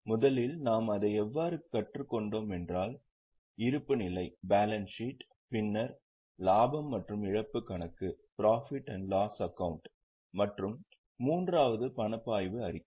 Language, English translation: Tamil, The first one going by how we have learnt it is balance sheet, then profit and loss account and the third one is cash flow statement